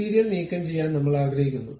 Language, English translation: Malayalam, I want to remove the material